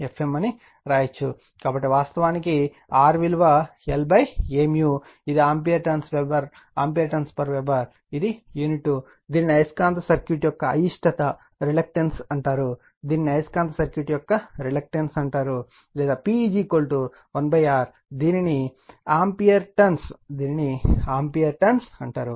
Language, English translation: Telugu, So, R actually we call l upon A mu M it is ampere turns per Weber its unity, it is called reluctance of the magnetic circuit right, this is called the reluctance of the magnetic circuit; or P is equal to 1 upon R, it is called Weber per ampere turns right